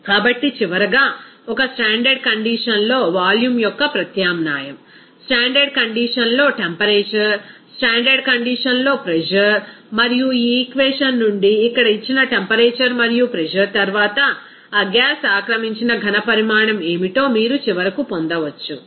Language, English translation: Telugu, So, finally, after substitution of volume at a standard condition, temperature at standard condition, pressure at standard condition, and given temperature and pressure here from this equation, you can finally get that what would be the volume occupied by that gas